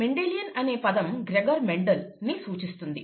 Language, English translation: Telugu, Mendelian refers to Mendel, Gregor Mendel